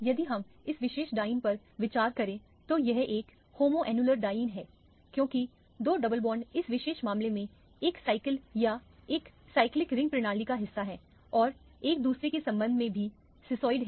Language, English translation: Hindi, If we consider this particular diene this is a homoannular diene because the two double bonds are part of one cycle or one cyclic ring system in this particular case and there are also cisoid with respect to each other